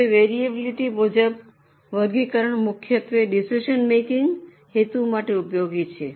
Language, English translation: Gujarati, Now classification as per variability is mainly useful for decision making purposes